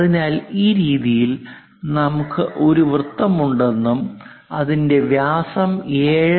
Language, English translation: Malayalam, So, this way also represents that there is a circle and the diameter is 7